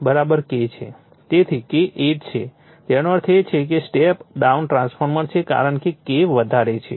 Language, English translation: Gujarati, So, K = 8; that means, it is a step down transformer because K greater than right